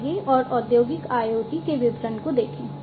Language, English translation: Hindi, So, now let us and look at the details of Industrial IoT